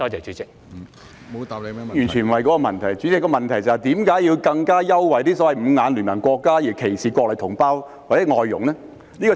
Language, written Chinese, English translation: Cantonese, 主席，我的補充質詢是問，為何要優惠"五眼聯盟"國家的人而歧視內地同胞或外傭呢？, President I asked in my supplementary question why people coming from the countries of the Five Eyes are given favourable treatment while people coming from the Mainland or FDHs are being discriminated against